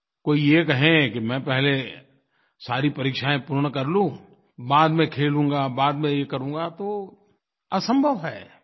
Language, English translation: Hindi, If someone says, "Let me finish with all exams first, I will play and do other things later"; well, that is impossible